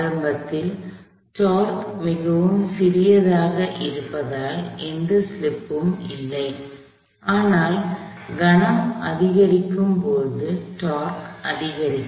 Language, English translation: Tamil, Initially, since the torque itself, it is quite small, there is no slip, but as the torque increases as the moment increases